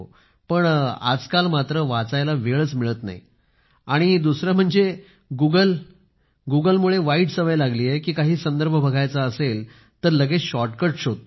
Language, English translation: Marathi, But these days I am unable to read and due to Google, the habit of reading has deteriorated because if you want to seek a reference, then you immediately find a shortcut